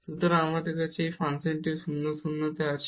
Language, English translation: Bengali, So, we have and the function is also 0 at 0 0